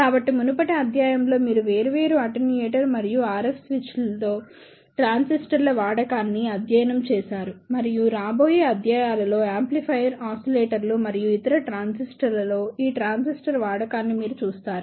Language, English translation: Telugu, So, in the previous lecture, you have studied the use of transistors in variable attenuator and in RS switchers and in the coming lectures, you will see the use of these transistor in amplifier oscillators and other circuits